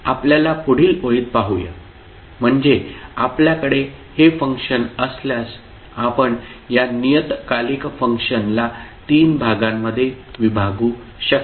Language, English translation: Marathi, Let’ us see in the next line, so if you have this particular function you can divide this the periodic function into three parts